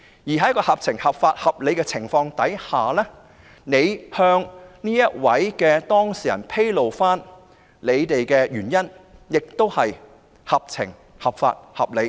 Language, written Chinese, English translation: Cantonese, 在一個合法、合情、合理的情況下，局長向有關當事人披露他們的原因，亦屬合法、合情、合理。, Under a lawful sensible and reasonable situation it is indeed lawful sensible and reasonable for the Secretary to disclose their rationale to the parties concerned